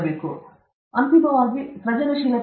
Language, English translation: Kannada, So, therefore, creativity, what is creativity ultimately